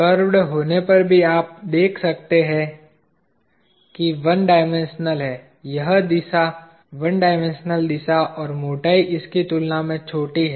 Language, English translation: Hindi, Even if it is curved, you notice that there is one dimension, this direction, one dimension direction and the thickness is small compared to it